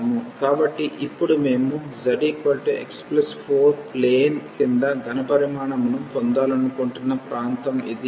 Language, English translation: Telugu, So, now this is the region where we want to get the volume below the z is equal to x plus 4 plane